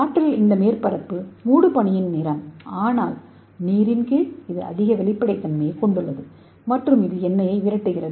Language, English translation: Tamil, In the air the surface is misty but under water you can see here it has the high transparency and it repels oil